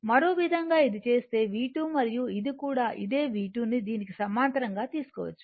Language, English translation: Telugu, In other way in other way, if you do this is V 2 , and this is also this one also you can take V 2 this parallel to this, right